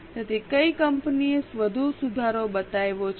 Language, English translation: Gujarati, So which company has shown more improvement